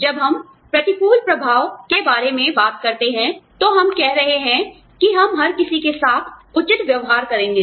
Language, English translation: Hindi, When we talk about adverse impact, we are saying, i will treat everybody fairly